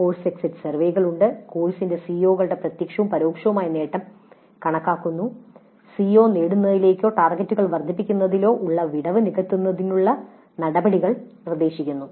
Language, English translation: Malayalam, So there are course exit surveys, then computing the direct and indirect attainment of COs of the course, then proposing actions to bridge the gap in CO attainment or enhancement of the targets